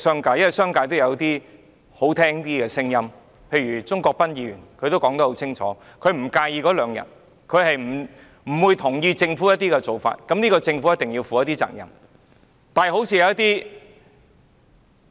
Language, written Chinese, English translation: Cantonese, 不過，商界也有一些好聽的聲音，正如鍾國斌議員說得很清楚，他不介意增加兩天侍產假，他不同意政府的一些做法，認為侍產假是政府需要負上的責任。, For example Mr CHUNG Kwok - pan said clearly that he did not mind increasing paternity leave by two days that he did not endorse certain approaches of the Government and that he regarded paternity leave as an obligation of the Government